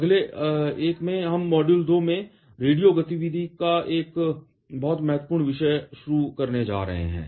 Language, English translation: Hindi, In the next one, we are going to start the very important topic of radio activity in module 2